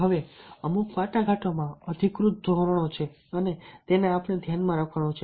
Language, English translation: Gujarati, now there are certain authoritative standards and norms, negotiation and this we have to keep in mind